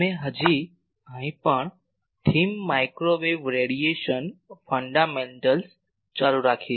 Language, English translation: Gujarati, We are still continuing the theme microwave radiation fundamentals